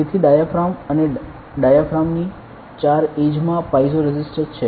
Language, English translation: Gujarati, So, a diaphragm and in the four edges of the diaphragm, there are piezo resistors